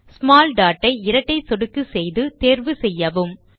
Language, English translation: Tamil, Let us choose the small dot by double clicking on it